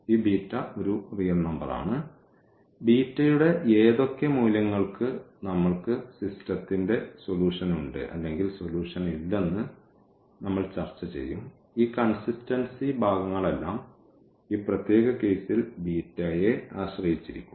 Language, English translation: Malayalam, So, this beta is a real number and we will discuss that for what values of beta we have the solution of the system or we do not have the solution all these consistency part will also depend on beta in this particular case, ok